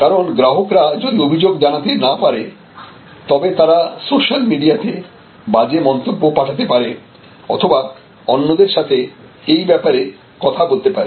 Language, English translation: Bengali, Because the customers, if they may not complaint to the company, but they may actually post highly negative comments on the social media, they may talk to others and they may post it on the social media